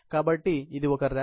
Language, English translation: Telugu, So, this is one rack